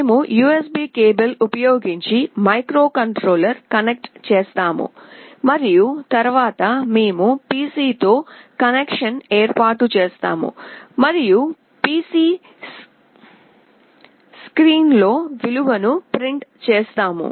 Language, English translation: Telugu, We will be connecting the microcontroller using the USB cable and then we will be establishing a connection with the PC and then in the PC screen we will print the value